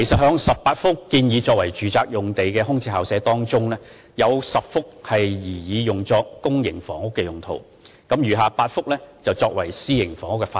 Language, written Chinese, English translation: Cantonese, 在18幅建議作為住宅用途的空置校舍用地中，有10幅擬作為公營房屋用途，餘下8幅則擬用作私營房屋發展。, Of the 18 VSP sites recommended for residential use 10 sites have been planned for public housing development and the remaining 8 sites for private housing development